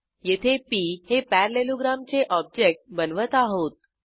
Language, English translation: Marathi, Here we calculate the area of parallelogram